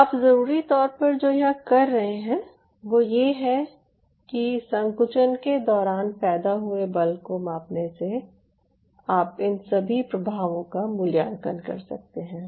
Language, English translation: Hindi, so what you are essentially doing is is by measuring the force generated during contraction, one can, one can evaluate the above effects